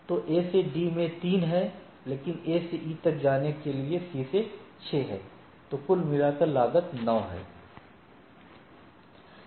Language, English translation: Hindi, So, A to D to A is 3, but for going to A to E is via C is 6